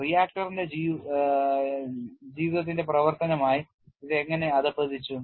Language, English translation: Malayalam, How it has degraded as a function of life of the reactor